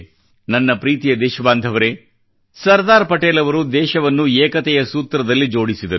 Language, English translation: Kannada, My dear countrymen, Sardar Patel integrated the nation with the thread of unison